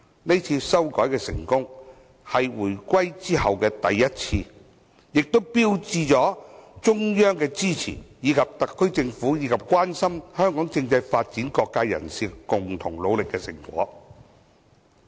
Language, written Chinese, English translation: Cantonese, 這是回歸後首次成功修改，更標誌着中央的支持，以及特區政府和關心香港政制發展的各界人士共同努力的成果。, This was the first successful amendment after the reunification which marked the support of the Central Authorities and the fruits of the joint efforts made by the SAR Government and people from all walks of life who were concerned about the constitutional development of Hong Kong